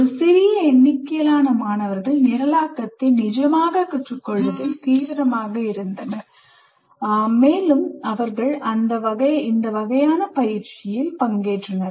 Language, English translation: Tamil, A small number of students who are serious about learning programming, then they have participated in these kind of exercises